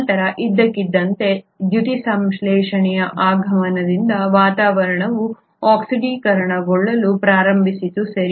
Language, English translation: Kannada, Then suddenly due to the advent of photosynthesis, the atmosphere started getting oxidised, right